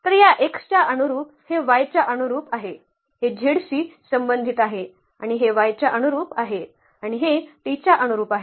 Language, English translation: Marathi, So, corresponding to this x this is corresponding to y this is corresponding to z and this is corresponding to y and this is corresponding to t